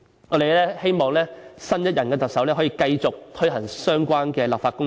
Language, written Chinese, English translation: Cantonese, 我們希望新任特首可繼續推行相關的立法工作。, We hope that the new Chief Executive can carry on with the relevant legislative work